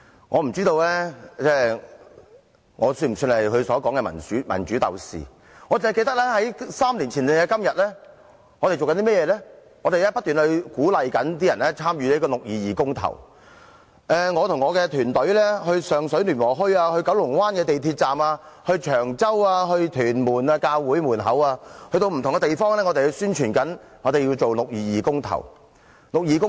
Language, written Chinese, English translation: Cantonese, 我不知道我是否他所說的民主鬥士，我只記得在3年前的今天，我們不斷鼓勵市民參與六二二公投，我和我的團隊到上水聯和墟、九龍灣港鐵站、長洲和屯門的教會門前，到不同的地方宣傳我們要進行六二二公投。, I do not know if I am one of those democracy fighters by his definition but I do remember on this day three years ago we lobbied for public support in the 22 June referendum . I remember my team and I went to Luen Wo Hui in Sheung Shui the Kowloon Bay MTR Station and churches in Cheung Chau and Tuen Mun to tell people about the 22 June referendum . We wanted genuine universal suffrage